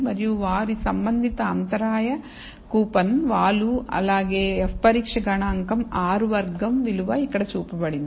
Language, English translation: Telugu, And their corresponding intercept coupon the slope as well as the f test statistic and so on r squared value is shown here